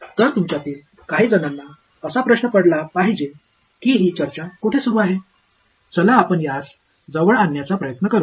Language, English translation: Marathi, So, some of you must be wondering where is this discussion going so, let us try to bring it closer